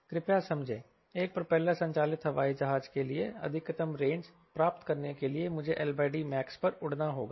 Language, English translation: Hindi, for a propeller driven airplane to get maximum range i need to fly at l by d max